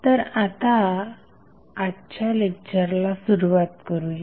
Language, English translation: Marathi, So, now, let us start the today's lecture